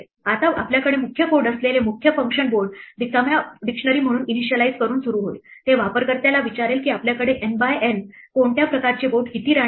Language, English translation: Marathi, Now the main function that we have the main code will start off by initializing board to be an empty dictionary, it will ask the user how many queens what kind of board we have N by N